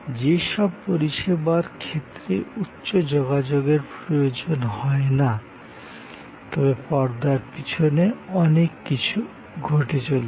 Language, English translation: Bengali, In case of services which are not necessarily high contact, but a lot of things are happening behind the scene